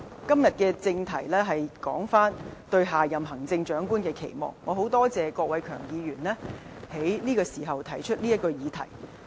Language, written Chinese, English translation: Cantonese, 今天的正題是討論"對下任行政長官的期望"，我很感謝郭偉强議員此時提出這項議題。, The subject of our discussion is Expectations for the next Chief Executive . I appreciate Mr KWOK Wai - keung for raising this subject at this particular moment